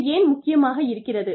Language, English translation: Tamil, And, why is it important